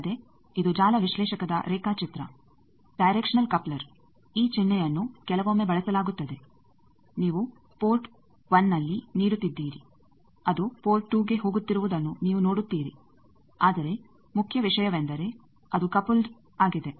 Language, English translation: Kannada, Also, this is the diagram of network analyzer, directional coupler that this symbol also is sometimes used that you are giving at port 1 you see port 2 it is going, but main thing is it is getting coupled